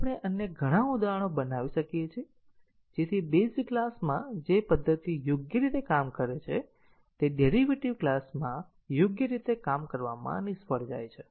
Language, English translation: Gujarati, So, we can construct many other examples which, so that the method which works correctly in a base class fails to work correctly in the derived class